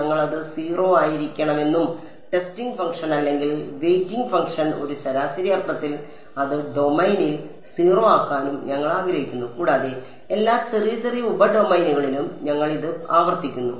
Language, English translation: Malayalam, Ideally, we want it to be 0 and the testing function which is or the weighing function we are in an average sense enforcing it to 0 over the domain and we repeating this over all of the little little sub domains ok